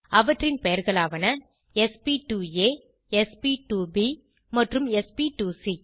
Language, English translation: Tamil, They are named sp2a, sp2b and sp2c